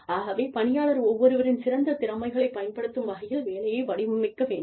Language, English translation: Tamil, So, the job should be designed, to use the best talents, of each employee